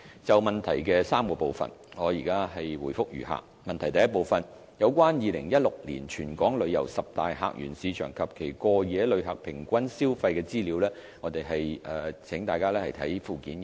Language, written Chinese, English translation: Cantonese, 就質詢的3個部分，我現答覆如下：一有關2016年本港旅遊十大客源市場及其過夜旅客平均消費的資料，請參閱附件一。, Replies to the questions are as follows 1 The information of top 10 visitor source markets of Hong Kong and the respective average spending per capita by overnight visitors in 2016 are provided at Annex 1